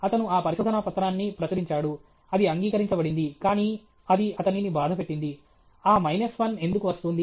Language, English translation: Telugu, He published that paper; it was accepted, but that bothered him why that minus 1 is coming